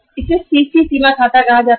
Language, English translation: Hindi, This is called as CC limit account